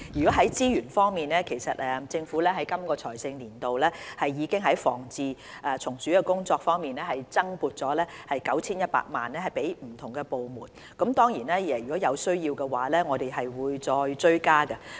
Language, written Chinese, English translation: Cantonese, 在資源方面，其實本財政年度，政府已在防治蟲鼠工作方面增撥了 9,100 萬元予不同部門，當然，如果有需要，我們會追加撥款。, As to resources actually the Government has allocated an additional funding of 91 million to various government departments for pest control operations . Of course we will allocate more funds if necessary